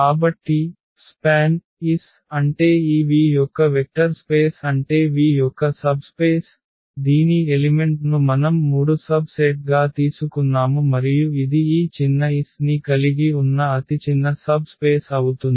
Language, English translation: Telugu, So, this is span S is the subspace meaning this a vector space of this V the subspace of V whose elements we have taken as three subsets and this is the smallest another important information that this is the smallest subspace which contains this set S